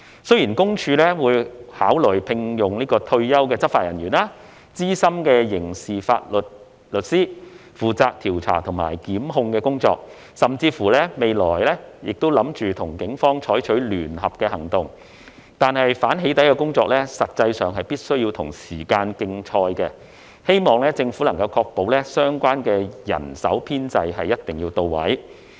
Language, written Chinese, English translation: Cantonese, 雖然私隱公署會考慮聘用退休執法人員、資深刑事法律師負責調查及檢控工作，甚至未來亦計劃與警方採取聯合行動，但反"起底"的工作實際上必須與時間競賽，希望政府能確保相關人手編制一定要到位。, Although PCPD will consider employing retired law enforcement personnel and experienced criminal lawyers to carry out investigation and prosecution work and even plans to conduct joint operation with the Police in the future anti - doxxing efforts are actually a race against time so I hope that the Government ensures there will be adequate staffing in place